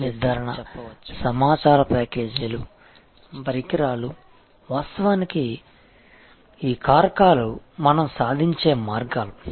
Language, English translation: Telugu, The capacity determination, information packages, equipment, these are the ways actually we achieve these factors